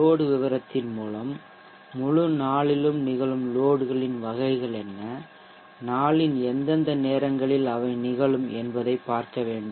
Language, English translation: Tamil, By load profile we have to look at what are the types of loads that occur over the entire day and at what times of the day